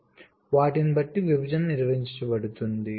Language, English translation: Telugu, so depending on them, the separation will be defined